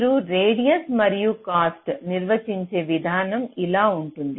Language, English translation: Telugu, the way you define the radius and cost is like this